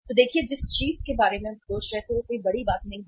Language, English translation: Hindi, So look at the the thing which we were thinking about it is not a big deal